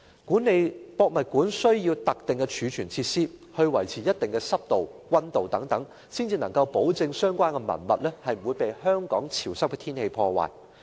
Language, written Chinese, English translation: Cantonese, 故宮館需要特定的儲存設施，以維持一定的濕度和溫度，才能夠保證相關文物不會被香港潮濕的天氣破壞。, HKPM needs to have specific storage facilities maintained at certain humidity and temperature so as to ensure that the relics will not be affected by the humid weather of Hong Kong